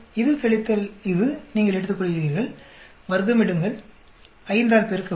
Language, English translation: Tamil, You take this minus this, square, multiply by 5